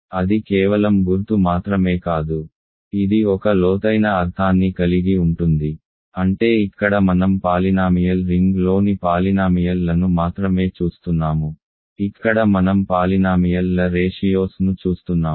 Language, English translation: Telugu, And that of course, is not just the symbol, it carries a deep meaning which is that here I am looking at only polynomials in the polynomial ring, here I am looking at ratios of polynomials